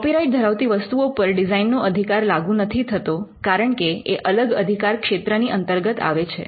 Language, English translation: Gujarati, Copyrighted works cannot be a subject matter of design right, because it is protected by a different regime